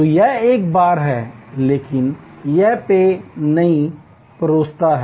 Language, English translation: Hindi, So, it is a bar, but it does not serve drinks